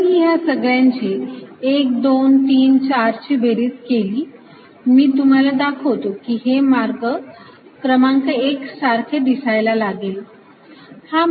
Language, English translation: Marathi, if i add all this together, one, two, three, four, if i add all this together, for a moment i'll just show you what it look like